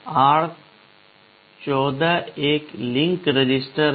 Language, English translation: Hindi, And r14 is a link register